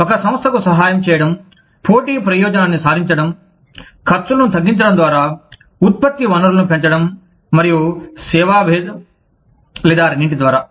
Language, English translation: Telugu, Is to help a firm, achieve competitive advantage, by lowering costs, by increasing sources of product, and service differentiation, or by both